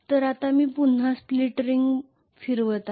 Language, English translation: Marathi, So now I am going to have a again the split ring will be rotating